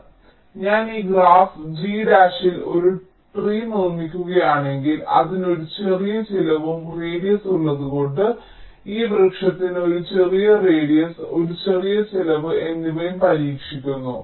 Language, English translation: Malayalam, so if i construct a tree in this graph, g dash, because it has a small cost and radius, this tree is also expected to have a small radius and a small cost